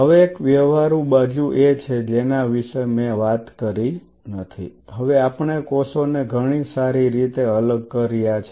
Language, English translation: Gujarati, Now there is a practical side of the story which I have not talked about now we have separated the cells great